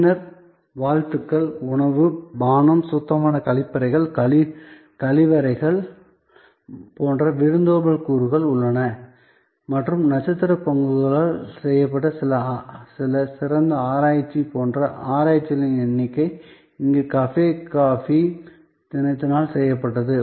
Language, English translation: Tamil, Then, there are hospitality elements like greetings, food, beverage, availability of clean toilets, washrooms and number of research like some excellent research done in by star bucks, some excellent research done by cafe coffee day here